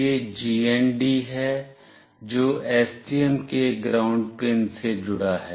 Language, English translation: Hindi, This is the GND, which is connected to ground pin of STM